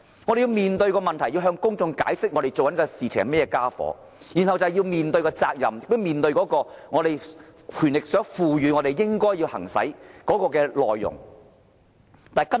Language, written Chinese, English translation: Cantonese, 我們要面對問題，要向公眾解釋我們正在做甚麼，然後便要面對責任，以及面對我們獲賦權應要進行的工作。, We had to address the problems and explain to the public what we were doing . Then we had to bear the responsibility and face the work we were authorized to carry out under the law